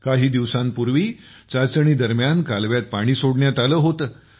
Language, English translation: Marathi, A few days ago, water was released in the canal during testing